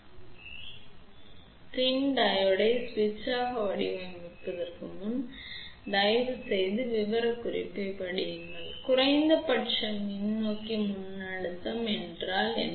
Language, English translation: Tamil, So, before you design PIN Diode as a switch, please read the specification what is the minimum forward voltage required